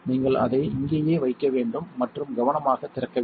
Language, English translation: Tamil, You want to put it in here and you want to open it carefully